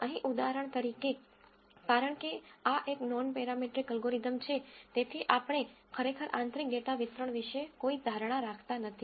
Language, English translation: Gujarati, Here for example, because this is a nonparametric algorithm, we really do not make any assumptions about the underlying data distribution